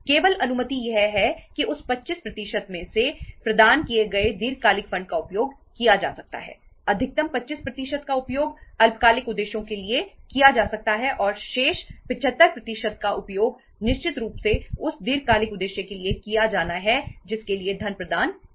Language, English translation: Hindi, Only permission is that the long term funds provided out of that 25% can be used, maximum up to 25% can be used for the short term purposes and remaining 75% certainly has to be used for the long term purpose for which the funds have been provided